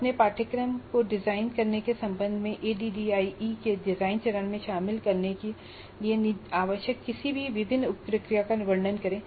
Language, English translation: Hindi, Describe any different sub processes you consider necessary to be included in the design phase of ID with respect to designing your course